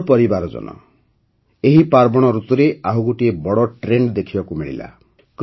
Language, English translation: Odia, My family members, another big trend has been seen during this festive season